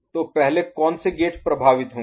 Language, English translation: Hindi, So, what are the gates that will get affected first